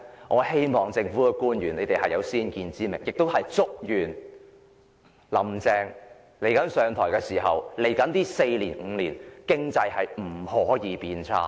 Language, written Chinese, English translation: Cantonese, 我希望政府官員有先見之明，亦祝願"林鄭"上台後未來四五年經濟不會變差。, I hope that government officials will act with foresight and I also wish that the economy will not deteriorate in the next four to five years after Carrie LAMs assumption of office